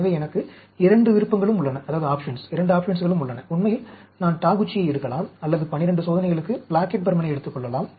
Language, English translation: Tamil, So, I have both the options, actually, I can take Taguchi or I can take Plackett Burman for 12 experiments